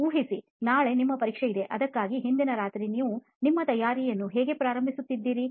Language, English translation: Kannada, Imagine you have an examination the next day and just previous night you are starting your preparation